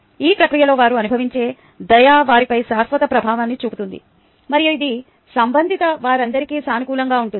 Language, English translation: Telugu, the kindness they experience in the process would possibly have a lasting effect on them and that can be positive for all concerned